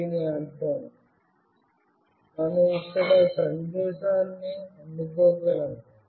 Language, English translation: Telugu, It means we will be able to receive message here